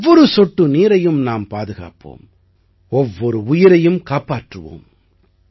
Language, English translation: Tamil, We will save water drop by drop and save every single life